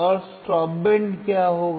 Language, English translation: Hindi, And what will be a stop band